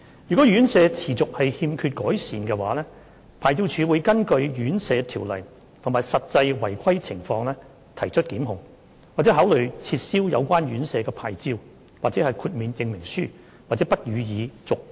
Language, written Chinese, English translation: Cantonese, 若院舍持續欠缺改善，牌照處會根據《殘疾人士院舍條例》及實際違規情況提出檢控，或考慮撤銷有關院舍的牌照/豁免證明書或不予以續期。, If the RCHDs concerned persistently fail to make improvement LORCHD will in accordance with the Residential Care Homes Ordinance and the actual situation of non - compliance take prosecution action against them or consider revoking or refusing to renew their licences or certificates of exemption